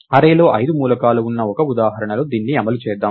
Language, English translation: Telugu, Let us run it on a single example, where there are five elements in the array